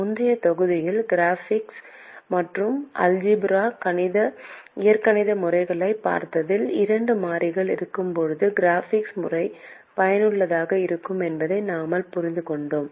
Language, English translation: Tamil, we have seen the graphical and algebraic methods in the previous module and we understand that the graphical method is useful when we have two variables